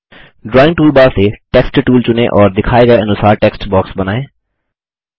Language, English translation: Hindi, From the Drawing toolbar, select the Text tool and draw a text box as shown